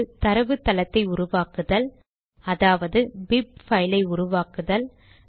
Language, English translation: Tamil, One, create the database, namely the .bib file